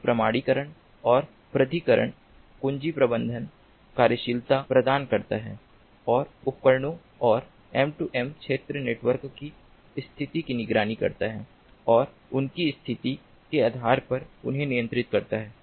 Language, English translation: Hindi, it provides authentication and authorization key management functionalities and monitors the status of devices and m two m area networks and controls, control them ah based on their status